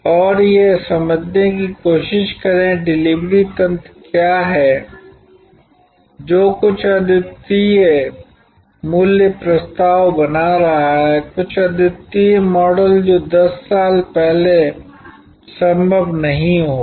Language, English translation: Hindi, And try to understand that, what is the delivery mechanism that is creating some unique value propositions, some unique models which would not have been possible 10 years back